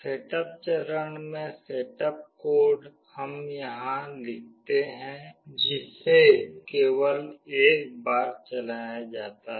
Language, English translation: Hindi, In the setup phase, the setup code here that we write is only run once